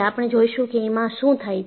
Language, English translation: Gujarati, We will see what happens